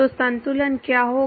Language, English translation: Hindi, So, what will be the balance